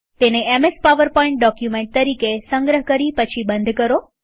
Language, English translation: Gujarati, Save it as a MS Powerpoint document